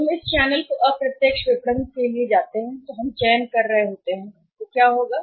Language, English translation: Hindi, When we go for indirect marketing this channel if we are selecting so what will happen